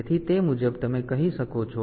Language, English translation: Gujarati, So, accordingly you can say that